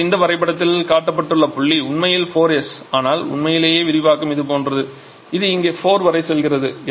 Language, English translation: Tamil, Now in this diagram the point that is shown that is actually 4S but and truly the expansion is something like this it is going up to a point 4 somewhere here